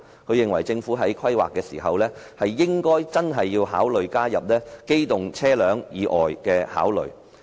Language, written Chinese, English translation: Cantonese, 她認為，政府在規劃時應加入對機動車輛以外工具的考慮。, In her view the Government should include modes of transport other than motor vehicles as a factor for consideration when drawing up planning